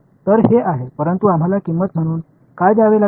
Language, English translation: Marathi, So, this is, but what have we have to pay as a price